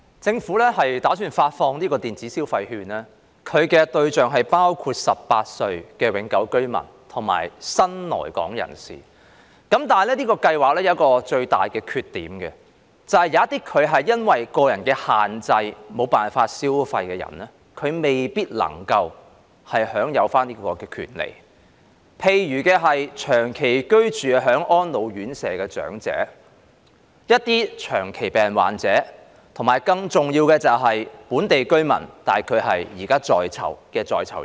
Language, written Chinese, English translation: Cantonese, 政府打算發放電子消費券的對象包括年滿18歲的永久性居民及新來港人士，但這計劃有一個最大的缺點，便是有一些人會因為個人限制，而無法消費的人未必能夠享有這種權利。例如長期居住在安老院舍的長者、長期病患者，以及更重要的是現時在囚的本地居民。, The Government plans to disburse electronic consumption vouchers to Hong Kong permanent residents and new arrivals aged 18 or above but there is one major shortcoming that is some people who are unable to spend due to personal reasons may not be able to enjoy this right such as elderly people residing in residential care homes patients with chronic illness and most importantly local residents behind bars